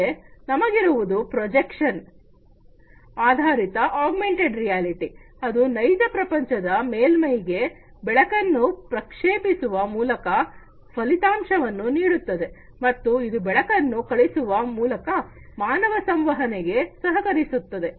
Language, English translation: Kannada, Then we have the prediction based augmented reality, that gives an outcome by projecting light onto the real world surfaces and it allows the human interaction by sending light